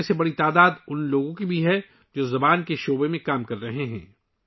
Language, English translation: Urdu, Among these, a large number are also those who are working in the field of language